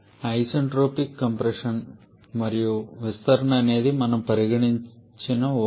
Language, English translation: Telugu, Isentropic compression and expansion is an assumption that we are going to put in